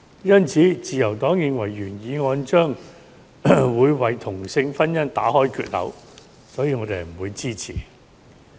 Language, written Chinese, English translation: Cantonese, 因此，自由黨認為原議案將會為同性婚姻打開缺口，所以我們不會支持。, Therefore the Liberal Party considers that as it will create a hole for same - sex marriage we therefore will not support it